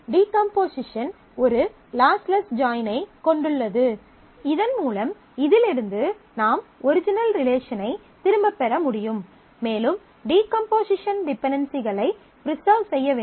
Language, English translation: Tamil, The decomposition has a lossless join, so that I can get back the original relation from this and preferably the decomposition should preserve the dependencies